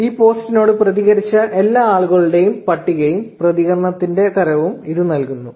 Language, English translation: Malayalam, So, this returns the list of all the people who reacted to this post along with the type of reaction